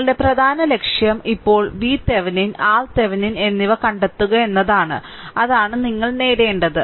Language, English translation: Malayalam, So, our major objective is now to find V Thevenin and R Thevenin; that is the that you have to obtain